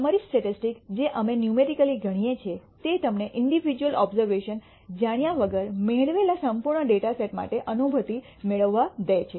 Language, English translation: Gujarati, Summary statistics that we do numerically allows you to get a feel for the entire data set that you have obtained without knowing the individual obser vations